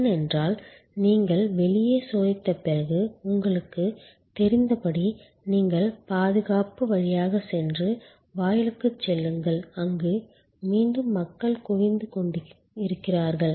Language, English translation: Tamil, Because, as you know after you check in outside then you go through security and go to the gate, where again there is a pooling people are waiting